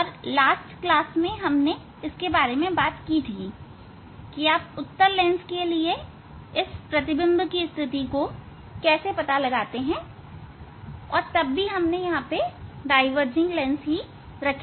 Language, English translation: Hindi, in last class already we have discussed how to find out the image position for a convex lens and then we will put the diverging lens